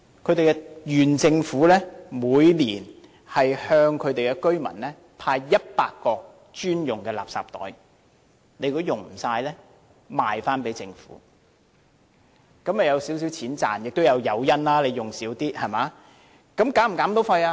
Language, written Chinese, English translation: Cantonese, 它的縣政府每年向居民派100個專用垃圾袋，如果用不完可以賣回給政府，這樣居民便可賺取少許金錢，也有減少使用量的誘因。, Each year the local government gives out 100 designated garbage bags to each resident . If a resident cannot use up all the bags he can sell them back to the government and thus can earn some money which can serve as an incentive of using less garbage bags